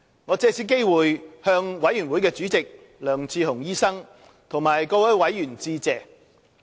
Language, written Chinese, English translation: Cantonese, 我藉此機會向委員會主席梁智鴻醫生和各位委員致謝。, I would like to take this opportunity to express my gratitude to the Chairperson of the Committee Dr LEONG Che - hung and its members